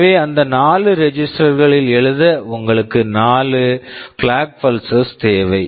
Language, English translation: Tamil, So, to write into those 4 registers you need 4 clock pulses